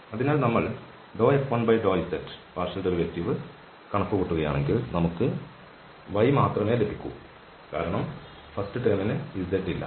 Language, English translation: Malayalam, So, the partial derivative of F 1 with respect to z if we compute we will get only y because first term does not have z